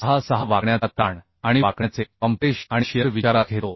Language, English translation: Marathi, 66 bending tension and bending compression and for shear stress 0